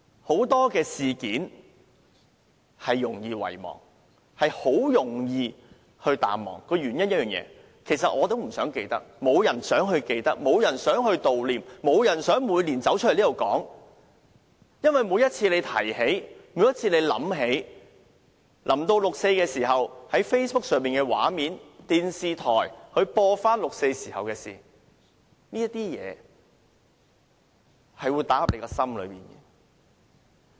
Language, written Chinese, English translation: Cantonese, 很多事件容易遺忘，也容易淡忘，其實我也不想記起，沒有人想記起，沒有人想悼念，沒有人想每年走出來在這裏說這事，因為每次提起這事，每次想起這事，每年接近6月4日時在 Facebook 上看到的畫面或電視重播六四時候發生的事情，凡此種種都打進大家的心坎內。, I actually do not wish to remember it either . Nobody wants to remember it; nobody wants to commemorate it; nobody wants to come forth and talk about it here every year . It is because every time this incident is brought up every time when we think of this incident and every year when 4 June draws near the scenes that we see on Facebook or the television re - runs of what happened on 4 June all pound against our heart